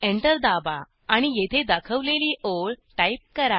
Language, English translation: Marathi, Press Enter and type the lines as shown here